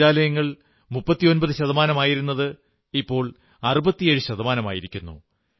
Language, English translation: Malayalam, Toilets have increased from 39% to almost 67% of the population